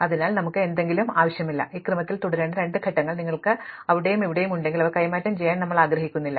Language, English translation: Malayalam, So, we do not want somethingÉ If you have two elements here and here which should remain in this order, we do not want them to be exchanged